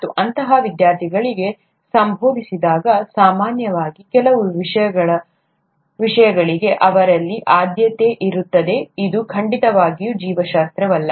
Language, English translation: Kannada, And, when, such students are addressed, there is usually a preference in them for certain subjects, which is certainly not biology